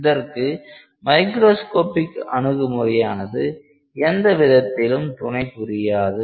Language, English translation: Tamil, So, microscopic approach really does not give you a clue of how to go about that